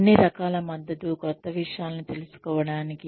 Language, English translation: Telugu, All kinds of support, to go and learn new things